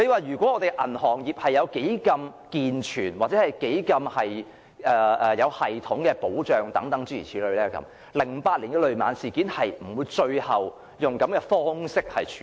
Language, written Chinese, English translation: Cantonese, 如果本港的銀行業能提供健全或有系統的保障 ，2008 年的雷曼事件最終便不會以這樣的方式處理。, Had the banking industry in Hong Kong been able to provide sound or systematic protection the Lehman Brothers incident in 2008 would not have been handled in such a way in the end